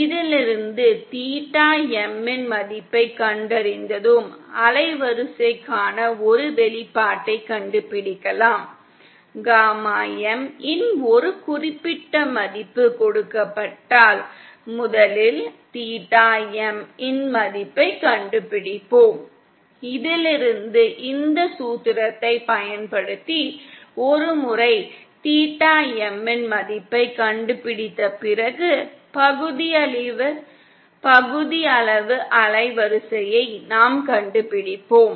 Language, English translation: Tamil, And from this once we find out the value of theta M we can find out an expression for the band width, the given a certain value of gamma M, we first find out the value of theta M, and from this using this formula and once we find out the value of theta M, we find out the fractional band width